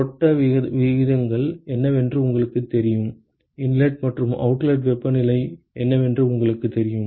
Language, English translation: Tamil, You know what the flow rates are; you know what the inlet and the outlet temperatures are